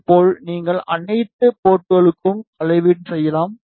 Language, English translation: Tamil, And in the similar way you can do the measurement for all the ports